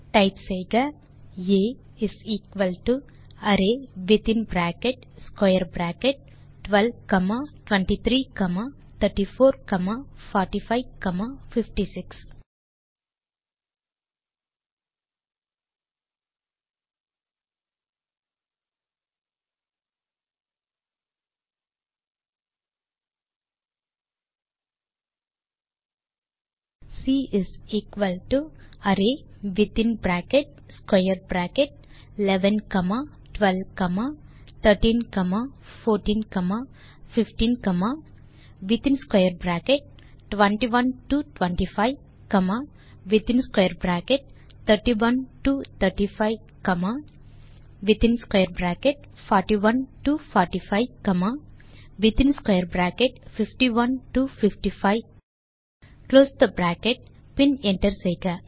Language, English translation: Tamil, Type A = array within bracket square bracket 12 comma 23 coma 34 comma 45 comma 56 C = array within bracket square bracket 11 comma 12 comma 13 comma 14 comma 15 comma Next in square bracket 21 to 25 comma Next one in square bracket 31 to 35 comma Next one is square bracket 41 to 45 comma And the final one is square bracket 51 to 55 then close the bracket and hit enter